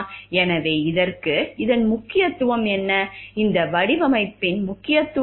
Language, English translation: Tamil, So, and for this, what is the importance of this, what is the importance of this design